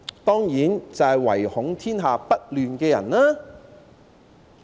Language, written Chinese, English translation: Cantonese, 當然是唯恐天下不亂的人。, Of course it is those people who are always ready to stir up troubles